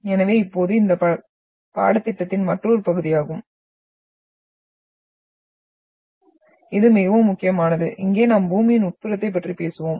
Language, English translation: Tamil, So now this is another part of this course which is extremely important and here we will talk about the interior of Earth